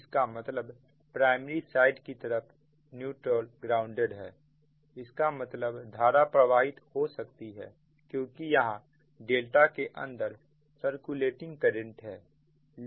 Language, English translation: Hindi, that means that means your neutral is grounded, is primary side, means its current can flow because there will be a your, what you call that circulating current inside the delta